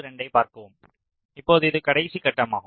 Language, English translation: Tamil, so now this is the last step